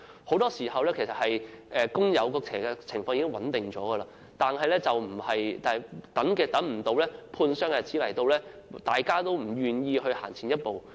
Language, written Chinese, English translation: Cantonese, 很多時候，工友的情況已經穩定，但未到判傷之日大家都不願意行前一步。, In many cases although the workers concerned are in stable conditions nobody dare to take a step forward before medical examination is made